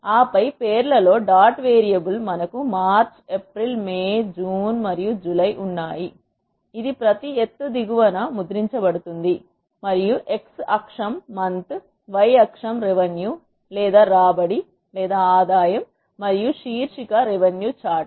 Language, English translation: Telugu, And then in the names dot variable we have March, April, May, June and July, which is printed at the bottom of each height, and the x axis is month, y axis is revenue and the title is revenue chart